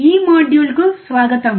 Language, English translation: Telugu, Welcome to this module